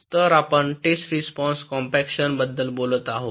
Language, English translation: Marathi, so we talk about something called test response compaction